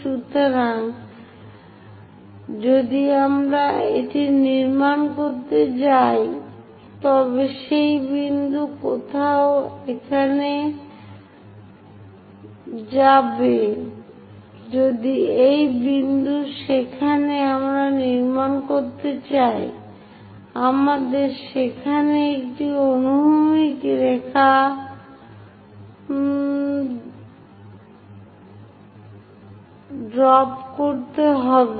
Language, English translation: Bengali, So, if I am going to construct it, that point goes somewhere here; if this is the point where we want to construct, we have to drop a horizontal line there